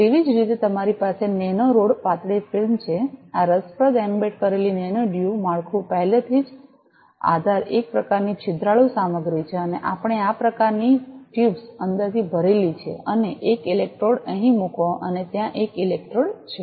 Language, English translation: Gujarati, Similarly, you have nano rod thin film this is interesting embedded nano duo structure already the base is some kind of porous material and we packed this kind of tubes inside and put one electrode here and one electrode there